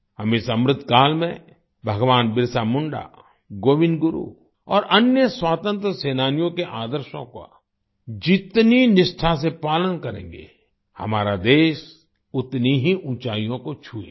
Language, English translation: Hindi, The more faithfully we follow the ideals of Bhagwan Birsa Munda, Govind Guru and other freedom fighters during Amrit Kaal, the more our country will touch newer heights